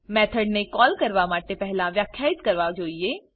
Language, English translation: Gujarati, Methods should be defined before calling them